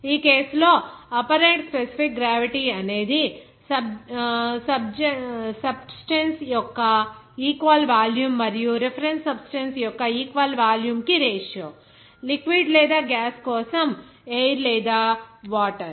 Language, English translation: Telugu, In this case, the apparent specific gravity is simply the ratio of the weights of the equal volume of substance and reference substance, water or air for liquid or gas